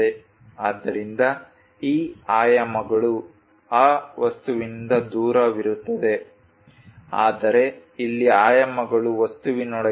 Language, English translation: Kannada, So, these dimensions are away from that object, but here the dimensions are within the object